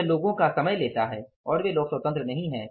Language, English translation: Hindi, So, it takes the time of people and those people are not free